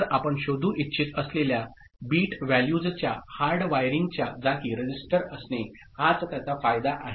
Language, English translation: Marathi, So, that is the advantage of having a register in place of hardwiring the bit values that we want to detect